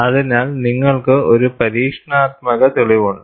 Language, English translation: Malayalam, So, you have an experimental evidence